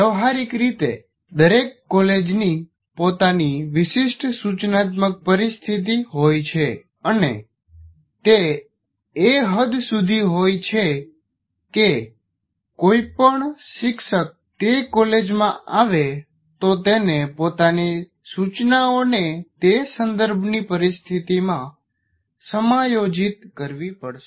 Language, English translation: Gujarati, We have very looked at in detail and practically every college has its own peculiar instructional situation and to their extent any teacher who comes to that college will have to adjust his instruction within that situation or that context